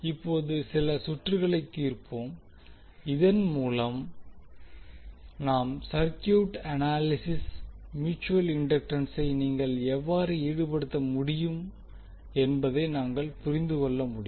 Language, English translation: Tamil, Now let solve few of the circuits so that we can understand how you can involve the mutual inductance in our circuit analyses